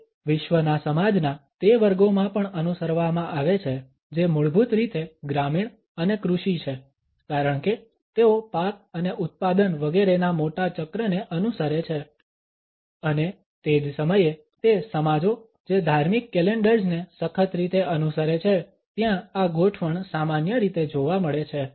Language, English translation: Gujarati, It is also followed in those sections of the society the world over which are basically rural and agrarian because they follow the larger cycles of the crop and production etcetera and at the same time those societies which rigorously follow the religious calendars this orientation is normally found